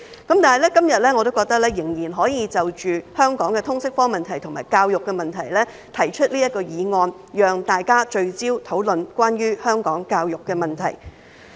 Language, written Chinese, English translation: Cantonese, 但是，我認為今天仍然可以就香港的通識科問題和教育問題，提出這項議案，讓大家聚焦討論關於香港教育的問題。, However I think we can still move this motion today on the issues of LS and education in Hong Kong so that we can focus our discussion on the issues related to the education in Hong Kong